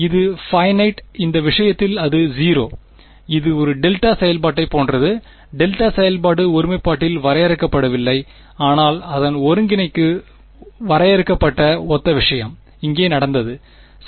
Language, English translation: Tamil, Its finite in this case its 0 right, it is just like a delta function the delta function is undefined at the singularity, but its integral is finite similar thing has happened over here ok